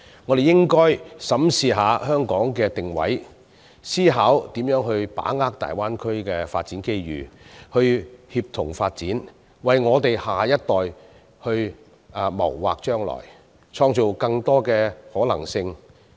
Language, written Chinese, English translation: Cantonese, 我們應該審視一下香港的定位，思考如何把握大灣區的發展機遇，協同發展，為下一代謀劃將來，創造更多的可能性。, We should examine the positioning of Hong Kong ponder how we can seize the development opportunities in the Greater Bay Area to promote synergistic development and plan the future to create more possibilities for the next generation